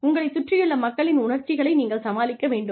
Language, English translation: Tamil, You have to deal with, the emotions of the people, around you